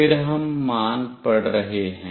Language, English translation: Hindi, Then we are reading the value